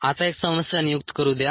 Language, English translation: Marathi, now let a problem be assigned